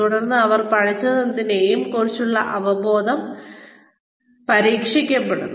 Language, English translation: Malayalam, And then, there understanding of whatever they have learnt, is tested